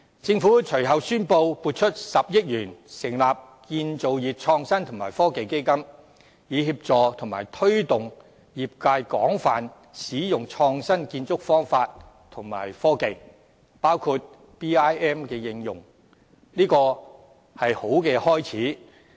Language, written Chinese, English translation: Cantonese, 政府隨後宣布撥出10億元成立建造業創新及科技基金，以協助和推動業界廣泛使用創新建築方法及新科技，包括 BIM 的應用，這是好的開始。, Subsequently the Government announced that 1 billion has been earmarked for setting up the Construction Innovation and Technology Fund to facilitate and promote the widespread use of innovative construction methods and new technologies including the application of BIM in the trade . It is a good start